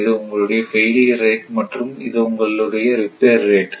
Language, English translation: Tamil, This is your failure rate and this is your repair rate